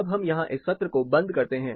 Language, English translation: Hindi, So, we will close this session here